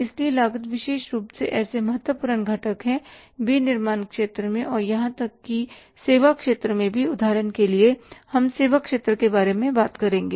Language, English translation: Hindi, So, cost is such an important component especially in the manufacturing sector even in the services sector also